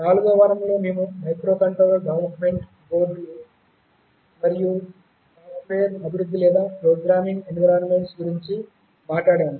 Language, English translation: Telugu, In the 4th week, we talked about microcontroller development boards and the software development or programming environments